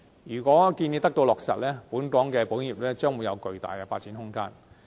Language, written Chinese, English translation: Cantonese, 如果建議得到落實，本港的保險業將會有巨大的發展空間。, If the proposal is implemented the Hong Kong insurance sector will have vast room for development